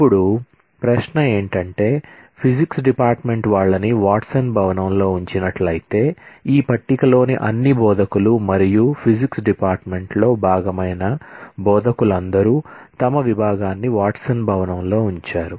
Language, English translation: Telugu, Now, the question is; so, Physics department, if it is housed in the Watson building then, all the instructors in this table, all the instructors who are part of the Physics department, would have their department housed in the Watson building